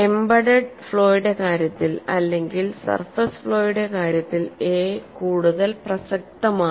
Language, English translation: Malayalam, In the case of embedded flaw or in the case of surface flaw a is more relevant